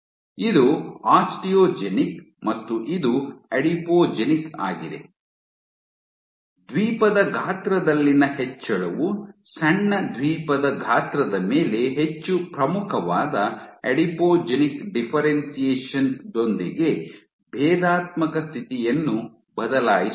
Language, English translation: Kannada, this is Osteogenic and this is adipogenic; increase in Island size switched the differentiation status with a more prominent adipogenic differentiation on small Island size